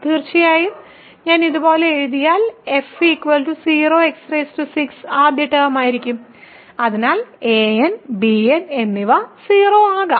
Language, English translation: Malayalam, So, here of course, if I write like this f will be 0 times x power 6 first term; so a n and b n can be 0